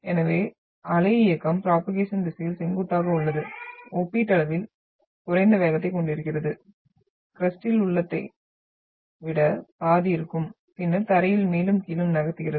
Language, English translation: Tamil, So motion is perpendicular to the direction of wave propagation having comparatively lesser speed almost like half I have in the crust and then moves the ground up and down